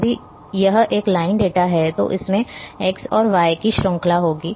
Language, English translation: Hindi, If it is a line data it will have a series of x and y